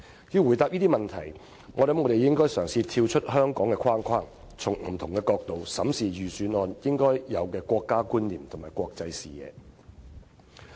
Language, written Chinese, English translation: Cantonese, 要回答這個問題，我想我們應嘗試跳出香港的框框，從不同的角度審視預算案應有的國家觀念和國際視野。, To answer this question I think we should try to look beyond Hong Kong and examine the Budget from different angles to see if it has the national concept and international outlook expected of it . It has been 21 years since Hong Kongs return to China